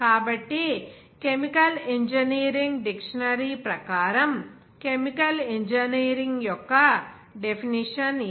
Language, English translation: Telugu, So, this is the definition of chemical engineering as per the dictionary of chemical engineering